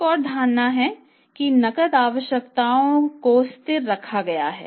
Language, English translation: Hindi, Other two assumptions he has taken is cash requirements are steady